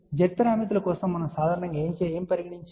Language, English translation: Telugu, What we have generally for Z parameters